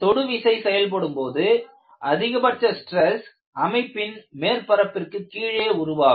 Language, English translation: Tamil, In the contact loading the maximum stresses occurs beneath the surface